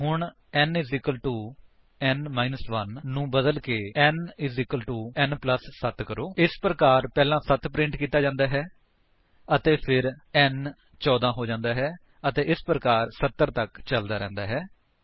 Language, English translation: Punjabi, So, change n=n 1 to n= n+7 This way, first 7 is printed and then n becomes 14, 14 is printed and so on until 70